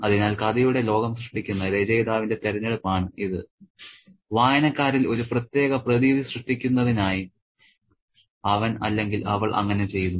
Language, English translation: Malayalam, So, this is the choice of the author who is creating the story world and he or she does that in order to create a particular effect on the readers